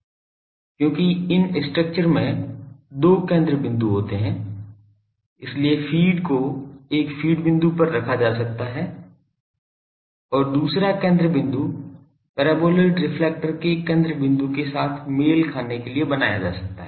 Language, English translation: Hindi, Because these structures are having two focal points; so, the feed may be placed at one feed point the second focal point can be made to coincide with the focal point of the paraboloidal reflector